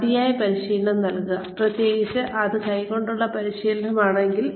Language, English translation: Malayalam, Provide adequate practice, especially, if it is hands on training